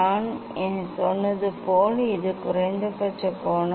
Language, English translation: Tamil, I; this the minimum angle as I told